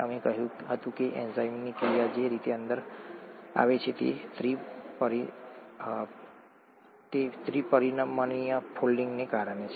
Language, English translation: Gujarati, The way the enzyme action comes in we said was because of the three dimensional folding